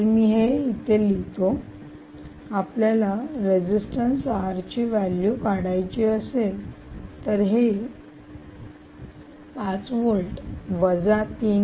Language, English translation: Marathi, so if you do, ah, if you want to calculate the resistance r, this will simply be five volts minus